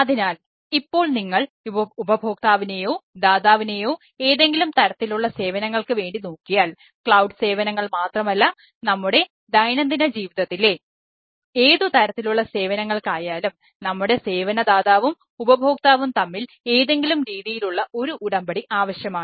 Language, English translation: Malayalam, so, from the, if you look at the provider consumer, for any type of services, not only cloud services, any type of services in our day, today, life, we require some sort of a agreement between the service provider and the consumer